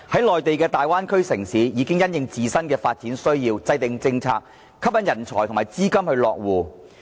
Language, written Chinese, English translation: Cantonese, 內地的大灣區城市，其實已因應自身的發展需要制訂政策，以期吸引人才和資金落戶。, Mainland cities in the Bay Area have already drawn up various policies to attract manpower and capitals based on their respective development needs